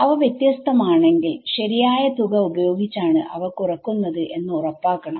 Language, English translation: Malayalam, If they are different, make sure that you subtract them by the correct amount ok